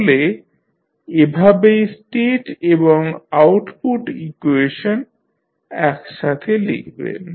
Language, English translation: Bengali, So, this is how you compile the state and the output equations